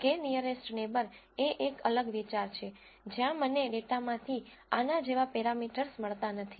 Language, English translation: Gujarati, k nearest neighbor is a different idea, where I do not get parameters like this out of the data